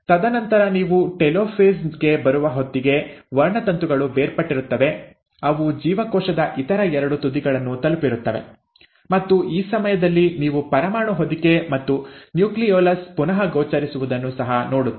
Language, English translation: Kannada, And then by the time you come to telophase, the chromosomes have separated, they have reached the other two ends of the cell, and at this point of time, you also start seeing the reappearance of the nuclear envelope and the nucleolus